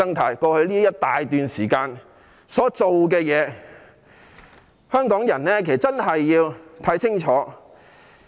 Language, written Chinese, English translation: Cantonese, 他們在過去一大段時間所做的事情，香港人真的要看清楚。, Hong Kong people really have to see clearly for themselves what the opposition camp has done in the past period of time